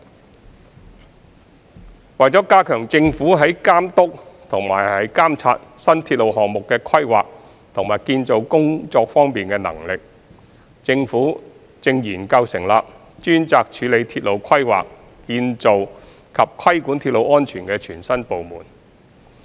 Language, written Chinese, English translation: Cantonese, 三為加強政府在監督和監察新鐵路項目的規劃和建造工作方面的能力，政府正研究成立專責處理鐵路規劃、建造及規管鐵路安全的全新部門。, 3 To strengthen the Governments capability in supervising and monitoring the planning and delivery of new railway projects the Government is studying the establishment of a new department specifically tasked to handle supervision of railway planning and project delivery as well as regulation of railway safety